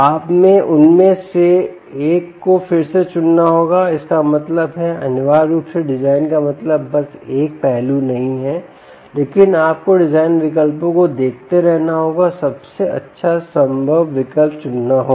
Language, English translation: Hindi, you have to choose one of them again and then that means essentially design means is just not one aspect, but you have to keep looking at design alternatives and choose the best possible alternative